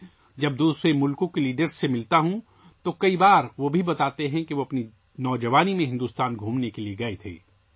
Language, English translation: Urdu, When I meet leaders of other countries, many a time they also tell me that they had gone to visit India in their youth